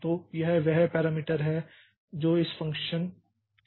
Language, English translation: Hindi, So, that is the parameter that is passed to this function